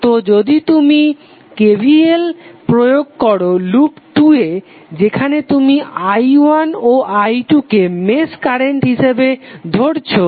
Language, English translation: Bengali, So if you apply KVL to the 2 loops that is suppose if you take i1 and i2 match currents i1 and i2